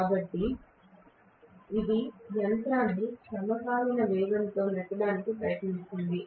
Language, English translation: Telugu, So that will try to push the machine back to synchronous speed that is what is going to happen